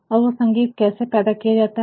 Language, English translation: Hindi, And, how that music can be created